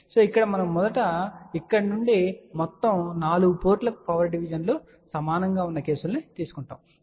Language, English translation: Telugu, But here we will first take the cases where the power divisions from here to all the 4 ports are equal